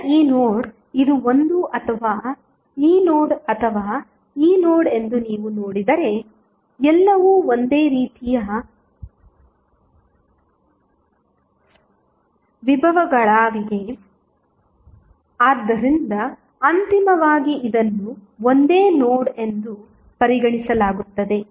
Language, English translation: Kannada, Now, if you see this node whether this is a or this node or this node all are act same potentials so eventually this will be considered as a single node